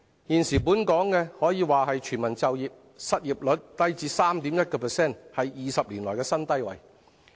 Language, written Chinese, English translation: Cantonese, 現時本港可說是全民就業，失業率低至 3.1%， 是20年來的新低。, There is virtually full employment in Hong Kong with the 20 - year - low unemployment rate at 3.1 %